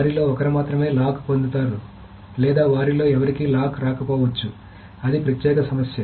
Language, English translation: Telugu, So only one of them will get the lock or it may happen that none of them gets the lock, that is a separate issue